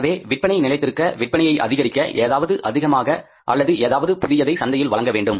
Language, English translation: Tamil, So, to sustain with the sales or to grow with the sales in the market, they have to offer something extra or something new to the customer